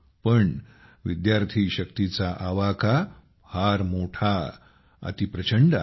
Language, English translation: Marathi, But the scope of student power is very big, very vast